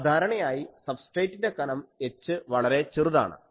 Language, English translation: Malayalam, Now, usually the substrate thickness h is very small